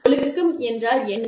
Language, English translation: Tamil, So, what does discipline mean